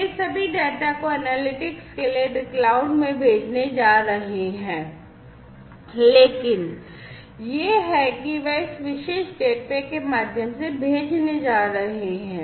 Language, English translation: Hindi, These are all going to send the data to the cloud for analytics, but it is they are going to send through this particular gateway